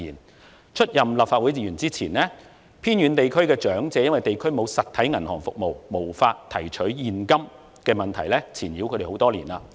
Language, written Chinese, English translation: Cantonese, 在我出任立法會議員前，偏遠地區的長者被地區沒有實體銀行服務而無法提取現金的問題纏繞多年。, Before I assumed office as a Member elderly people living in the remote areas had not been able to withdraw cash for many years due to the absence of physical banking services in their communities